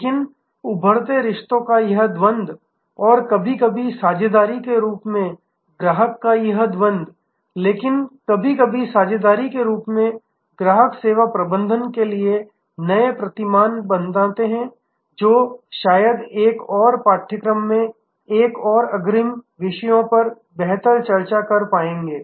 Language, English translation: Hindi, And this duality of a emerging relationships and this duality of customer sometimes as partnership, but partnership sometimes as customers create new paradigms for services management, which perhaps in an another course one more advance topics will be able to discuss better